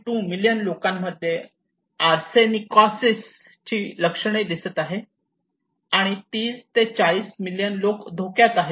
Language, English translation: Marathi, 2 million people already identified symptoms of Arsenicosis okay and 30 to 40 million people are at risk in Bangladesh